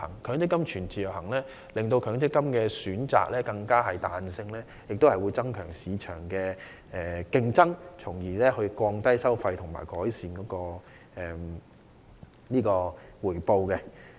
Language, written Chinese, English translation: Cantonese, 強積金全自由行可增加強積金選擇的彈性及市場競爭，從而降低收費和改善回報。, The full portability of MPF can increase the flexibility in choosing MPF schemes and market competition . This can in turn reduce the relevant fees and improve returns